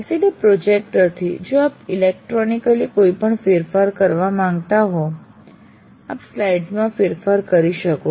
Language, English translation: Gujarati, Now LCD projector, if you want to make any change electronically you can make the change in the slides that you make